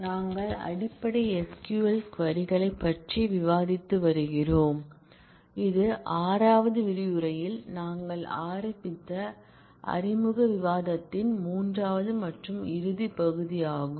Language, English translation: Tamil, We have been discussing basic SQL queries and this is the third and closing part of that introductory discussion that we started in the 6th module